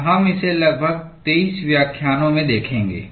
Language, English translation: Hindi, And we will be looking at it in about 23 lectures